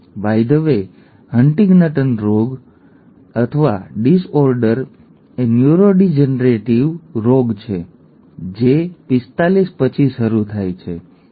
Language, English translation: Gujarati, By the way HuntingtonÕs disease or a disorder is a neurodegenerative disease that sets in after 45, okay